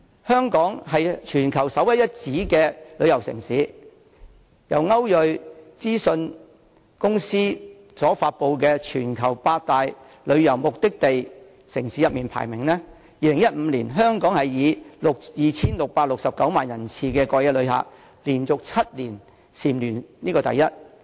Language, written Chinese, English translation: Cantonese, 香港是全球首屈一指的旅遊城市，在歐睿信息諮詢公司發布的"全球百大旅遊目的地城市"排名中，香港在2015年以 2,669 萬人次的過夜旅客，連續7年蟬聯第一。, Hong Kong is a premier tourist city in the world and in the Top 100 City Destinations Ranking announced by the Euromonitor International Limited it ranked first in 2015 for seven consecutive years with a record of 26.69 millions overnight visitors that year